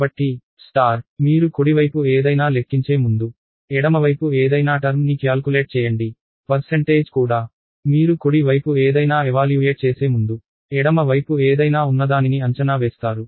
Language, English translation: Telugu, So, star you do the calculate term something on the left side before you calculate something on the right side, percentage also you evaluate something on the left side before evaluate something on the right side